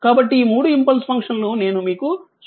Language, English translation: Telugu, So, let me clear it, so this is 3 impulse function I just showed you